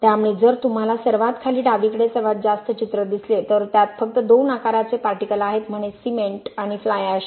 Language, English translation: Marathi, So if you see the the bottom left most picture that has only two size of particles you have only say cement and fly ash maybe